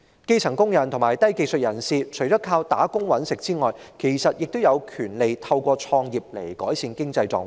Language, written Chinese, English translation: Cantonese, 基層工人及低技術人士，除了靠打工"搵食"外，其實也有權利透過創業來改善經濟狀況。, As for the grass - roots and low - skilled workers apart from earning a living through employment they indeed have the right to improve their financial status through starting their own businesses